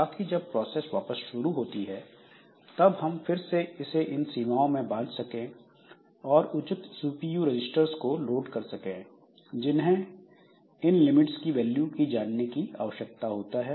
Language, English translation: Hindi, So, that later on when the process comes back, so we can again set this limits and we can load appropriate CPU registers that needs to know the values of values of this limits and the program counter and this CPU register